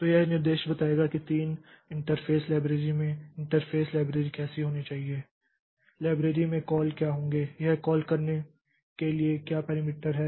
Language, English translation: Hindi, So, this specification will tell how what should be the interface library or the interface library, what should be the calls in the library, what are the parameters that these calls should have